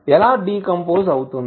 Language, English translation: Telugu, How will decompose